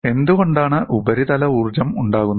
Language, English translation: Malayalam, Why do the surface energies come out